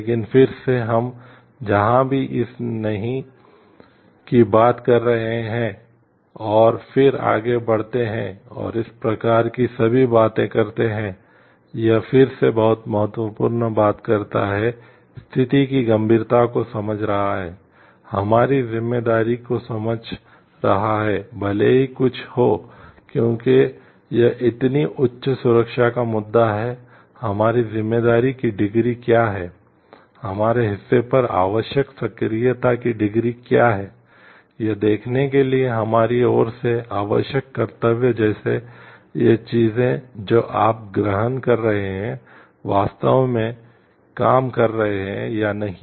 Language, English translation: Hindi, But again wherever we are talking of this no, no and then go ahead and all this type of thing, it again talks of very much important is understanding the gravity of the situation, understanding our responsibility even if something because this is such a high safety issue, what is our degree of responsibility, what is the degree of proactiveness required on a part, the duty required on our part to see; like, whether these things what you are assuming are really working or not